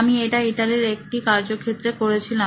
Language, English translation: Bengali, So, I have done this in a field in a class in Italy